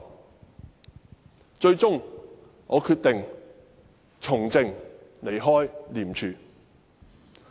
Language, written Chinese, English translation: Cantonese, 我最終決定從政，離開廉署。, I finally decided to leave ICAC and engage in politics